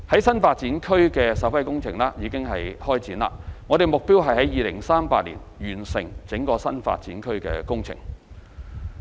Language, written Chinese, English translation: Cantonese, 新發展區的首批工程已經展開，目標是在2038年完成整個新發展區工程。, The first batch of works for NDA have already commenced and the works for the entire NDA is targeted for completion by 2038